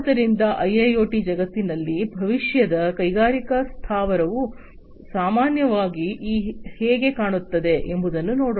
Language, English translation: Kannada, So, let us look at in the IIoT world, how a futuristic industrial plant typically is going to look like